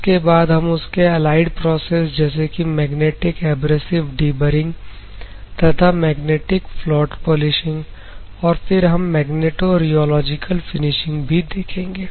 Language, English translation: Hindi, The second one: we will see the allied process that is called magnetic abrasive deburring followed by magnetic float polishing, then magnetorheological finishing